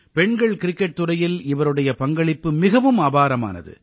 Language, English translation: Tamil, Her contribution in the field of women's cricket is fabulous